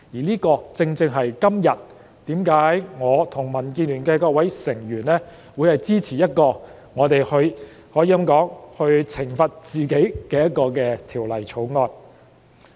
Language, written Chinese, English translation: Cantonese, 正因如此，今日我和民建聯的各位成員會支持這項可以說是懲罰自己的《條例草案》。, For this reason all members from DAB and I will support this Bill which can be described as a self - imposed punishment today